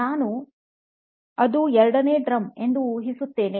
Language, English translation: Kannada, I guess that is the second drum